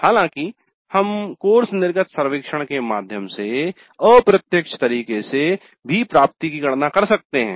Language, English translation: Hindi, However, we can also compute the attainment in an indirect way through course exit survey